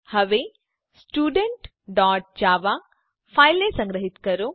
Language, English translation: Gujarati, Now save the file Student.java